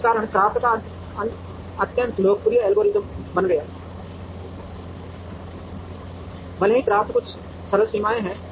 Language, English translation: Hindi, For this reason CRAFT became an extremely popular algorithm, even though CRAFT has certain simple limitations